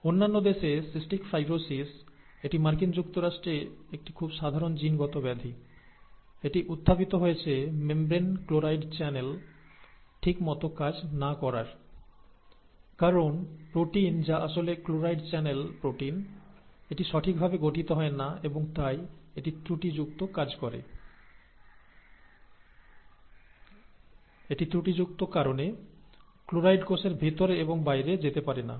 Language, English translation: Bengali, In other countries, cystic fibrosis; it is a very very common genetic disorder in the US; it arises because the channel for chloride in the membranes malfunctions, okay, because the protein which is actually the, the channel the chloride channel protein, that is not properly formed and therefore, that malfunctions, the chloride cannot move in and out of the cell